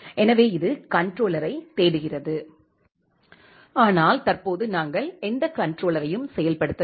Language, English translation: Tamil, So, it is searching for the controller, but currently we have not executed any controller